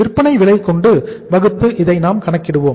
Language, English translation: Tamil, We will be calculating this as the selling price divided by the selling price